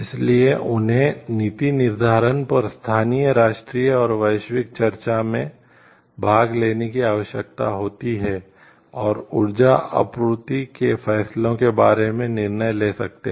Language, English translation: Hindi, So, they need to like participate in local national and global discussions on policy making and so, that they can take a decision about energy supply decisions